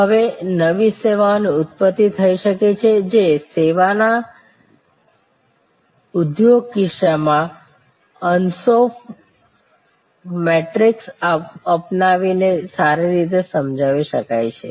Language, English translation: Gujarati, Now, new services can have origins, which can be well explained by adopting the Ansoff matrix in case of the service industry